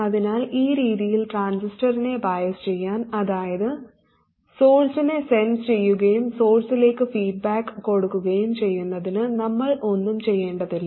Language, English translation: Malayalam, So to bias the transistor in this way, to censor the source and feedback to the source, we don't have to do anything